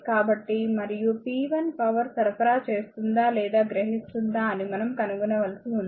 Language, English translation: Telugu, So, and power we have to find out p 1 is the power supplied or absorbed